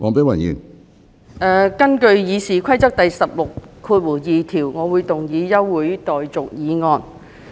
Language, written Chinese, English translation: Cantonese, 我現根據《議事規則》第162條，動議一項休會待續議案。, In accordance with Rule 162 of the Rules of Procedure I now propose an adjournment motion